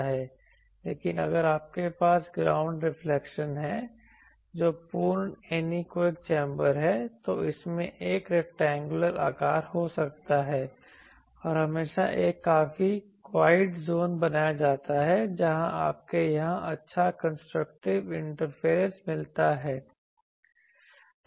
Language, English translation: Hindi, But if you have ground reflection that is a full anechoic chamber, it can have a rectangular shape and there is always a quite zone created where you get good constructive interference here